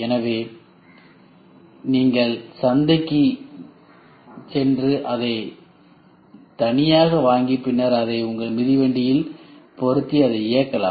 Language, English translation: Tamil, So, you go to the market and buy that alone and then fix it in your cycle and keep moving